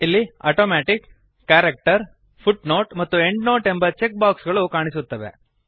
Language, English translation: Kannada, There are checkboxes namely ,Automatic, Character, Footnote and Endnote